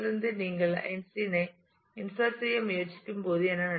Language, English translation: Tamil, So, what would happen when you try to insert Einstein